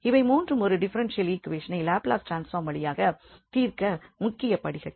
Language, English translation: Tamil, So, these three are the key steps for solving any differential equation using this Laplace transform